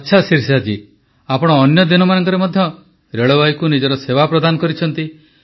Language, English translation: Odia, Ok Shirisha ji, you have served railways during normal days too